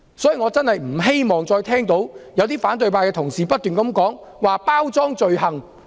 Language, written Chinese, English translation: Cantonese, 所以，我不希望再聽到反對派同事不斷提及包裝罪行。, For this reason I do not hope to see opposition Members constantly referring to the packaging of an offence